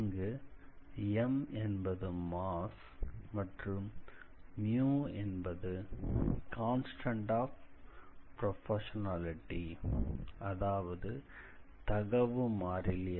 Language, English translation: Tamil, So, that is the velocity m is the mass and mu is some constant of proportionality